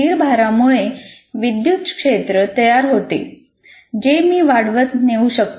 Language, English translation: Marathi, And the static charges produce electric fields and then like this I can keep on building